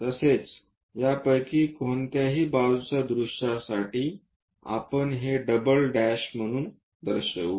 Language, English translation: Marathi, Similarly, for side view any of this we will show it as double’s